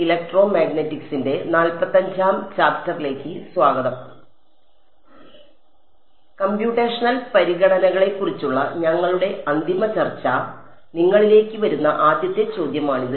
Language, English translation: Malayalam, So, our final discussion on the Computational Considerations; so, this is the first question that will come to you right